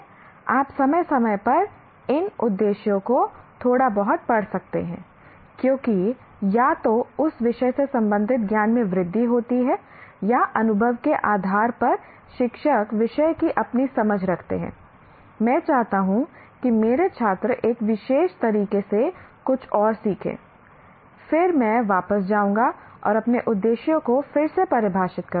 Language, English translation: Hindi, You may want to from time to time slightly readjust these objectives because either the growth in the knowledge of the related to that subject or the teacher's own understanding of the subject or based on the experience, I want my students to learn something more specific in a particular way, then I'll go back and redefine my objectives